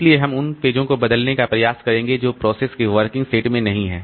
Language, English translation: Hindi, So, we will try to replace pages which are not there in the working set of the process